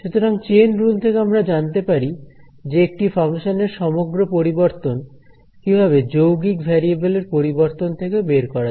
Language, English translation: Bengali, So, chain rule tells us how what is the total change in a function given changes in the composite sort of variables